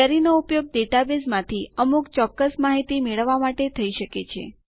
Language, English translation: Gujarati, A Query can be used to get specific information from a database